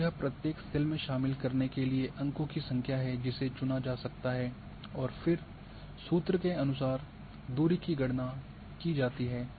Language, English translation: Hindi, So, this is the number of points to include in the each cell can be selected and then distance is calculated according to the formula